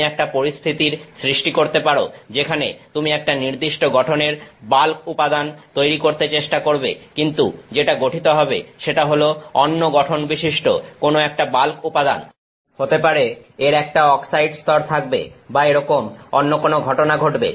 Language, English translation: Bengali, You can create a situation where you are trying to make a bulk material of a certain composition, but what is formed is a bulk material of some other composition; maybe it is a got an oxide layer or some other such thing is happening